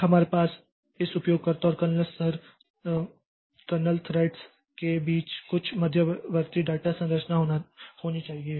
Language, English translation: Hindi, So, we must have some intermediate data structure between this user and kernel level kernel threads